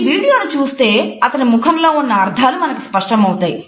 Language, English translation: Telugu, If you look at this video the connotations of his face become clear to us